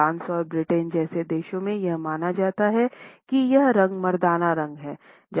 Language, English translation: Hindi, In countries like France and Britain, it is perceived to be a masculine color